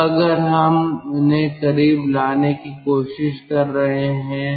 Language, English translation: Hindi, so we want to bring them closer